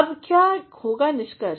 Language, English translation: Hindi, Now, what will be the conclusion